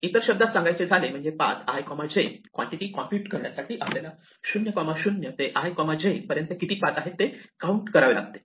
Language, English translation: Marathi, In other words if we say that paths(i, j) is the quantity we want to compute, we want to count the number of paths from (0, 0) to (i, j)